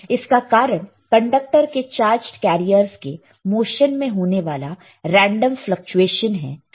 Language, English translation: Hindi, It is caused by the random fluctuations in the motion of carrier charged carriers in a conductor